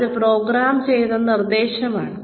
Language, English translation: Malayalam, Which is programmed instruction